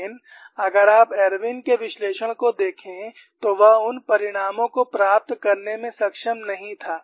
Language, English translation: Hindi, If you look at Irwin's analysis, he was not able to get those results